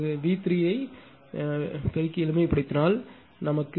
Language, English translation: Tamil, If you multiply and simplify V 3 will become 0